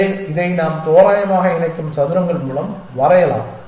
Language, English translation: Tamil, So, let me draw this by squares we randomly pair them